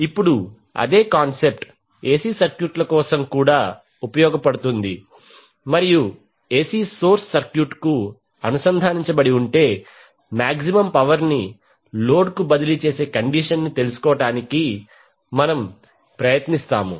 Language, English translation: Telugu, Now the same concept will extend for the AC circuit and we will try to find out the condition under which the maximum power would be transferred to the load if AC source are connected to the circuit